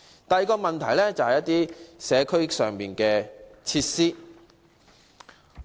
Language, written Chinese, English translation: Cantonese, 第二個例子有關社區設施。, The second example is about community facilities